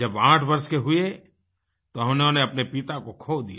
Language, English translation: Hindi, When he turned eight he lost his father